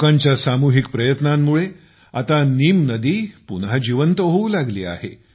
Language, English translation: Marathi, On account of the collective efforts of the people, the Neem river has started flowing again